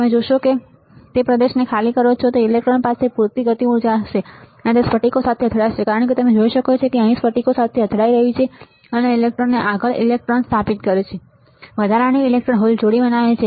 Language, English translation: Gujarati, You see when you deplete the region, the electron would have enough kinetic energy and collide with crystals as you can see it is colliding here with crystals and this lurching the electrons further electrons right and forms additional electron hole pair